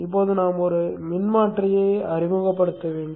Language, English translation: Tamil, Now we need to introduce a transformer